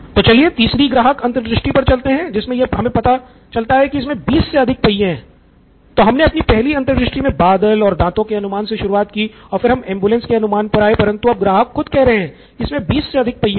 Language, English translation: Hindi, So let us go on to the third insight, it has more than 20 wheels oops, so we started with cloud and teeth maybe and all that in the first insight, then we came to ambulance now the customer himself says it has more than 20 wheels